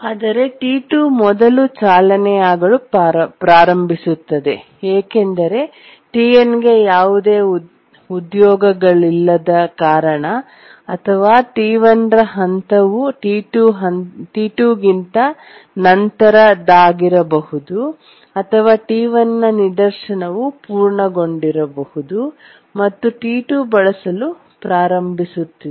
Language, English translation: Kannada, But then T2 starts running fast because there are no jobs for T1 because T1's phasing is later than T2 or maybe the T1's instant has just completed and T2 is starting to use